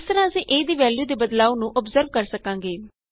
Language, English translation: Punjabi, This way we will be able to observe the changes in the value of a